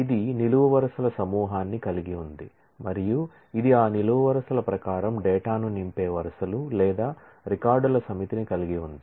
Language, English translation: Telugu, It has a set of columns and it has a set of rows or records that fill up data according to those columns